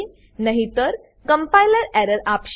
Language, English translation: Gujarati, Otherwise the compiler will give an error